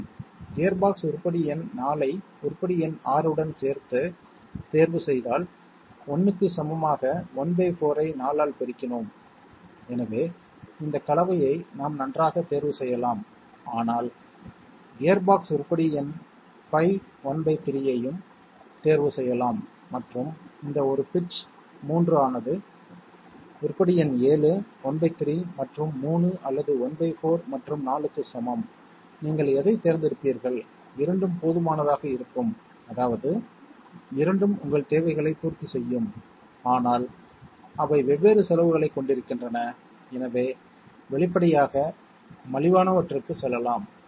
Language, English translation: Tamil, Yes if we choose gearbox item number 4 together with item number 6, we have one fourth multiplied by 4 equal to 1, so we could well choose this combination but we could also choose gearbox item number 5 one third and this one pitch equal to 3 item number 7, one third and 3 or one fourth and 4, which one would you choose, both will be sufficient, I mean both will be satisfying your requirements, but they are having different costs, so obviously let us go for the cheaper ones